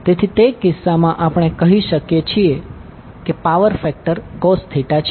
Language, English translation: Gujarati, So in that case what we can say that the power factor is cos Theta